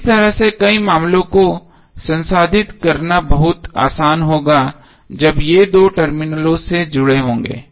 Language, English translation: Hindi, So in this way it will be very handy to process the multiple cases when these are connected to two terminals